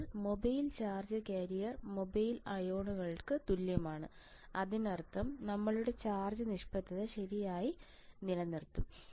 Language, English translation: Malayalam, Now, for mobile charge carrier is equal to the in mobile ions so; that means, our charge neutrality will be maintained correct